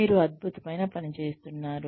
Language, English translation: Telugu, You are doing a fabulous job